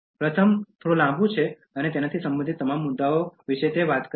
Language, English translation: Gujarati, The first one is little bit longer, it tells about all issues related to that